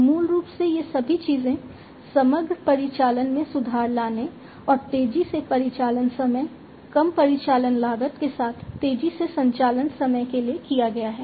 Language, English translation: Hindi, So, basically all these things have been done in order to improve upon the overall operations and to have faster operating time, lower operational cost with faster operating time